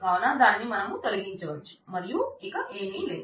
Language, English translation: Telugu, So, you can remove that and there is nothing else